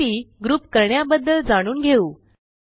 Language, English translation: Marathi, Now let us learn about grouping information